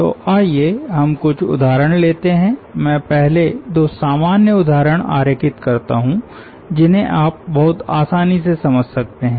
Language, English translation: Hindi, let me first draw two trivial examples which should be understandable to you very easily